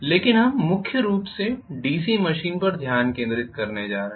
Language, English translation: Hindi, But now we are primarily going to concentrate on, we are going to concentrate mainly on the DC machine